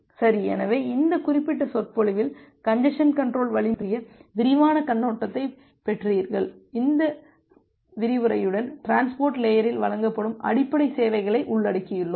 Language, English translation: Tamil, Well, so, in this particular lecture you got the broad overview about the congestion control algorithm and with this lecture, we have covered basic services which are being offered at the transport layer